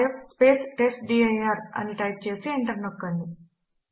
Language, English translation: Telugu, Press rm rf testdir and then press enter